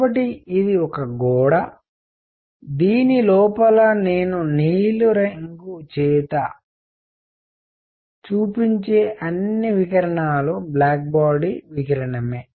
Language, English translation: Telugu, So, this is a wall, all the radiation inside which I will show by blue is black body radiation